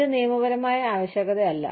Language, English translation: Malayalam, This is not a legal requirement